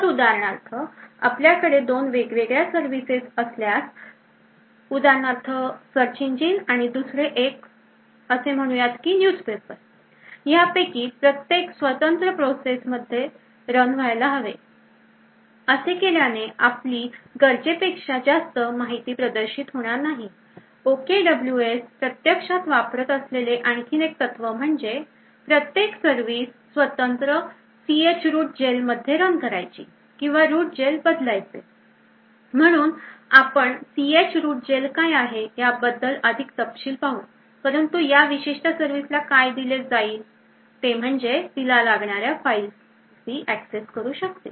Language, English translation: Marathi, So for example if you have two different services so one for example is the search engine and the other one is say the daily newspaper, each of these should run in a independent process, by doing this we will not be exposing more quote than required, another principle that OKWS actually uses is that every service should run in a separate chroot jail or change root jail, so we will see more details of what ch root jail is but essentially what this particular point would provide is that a particular service would be able to access only the necessary files